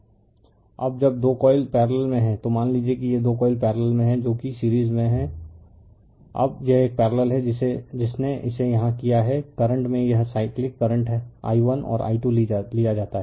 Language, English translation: Hindi, Now, when 2 coils are in parallel suppose these 2 coils are in parallel that is series now this is a parallel what you have done it here that, current is this cyclic current is taken i1 and i 2